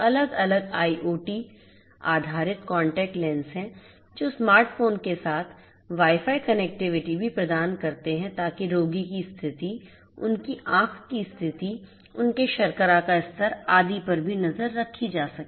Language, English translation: Hindi, There are different IoT based contact lenses which are which also offer Wi Fi connectivity with smart phones so that the condition of the patient their you know, their high condition, their sugar level etcetera etcetera could be also monitored